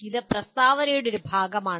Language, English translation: Malayalam, That is one part of the statement